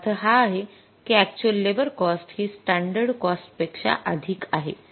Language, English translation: Marathi, It means actual labor cost we have paid is more than the standard labor cost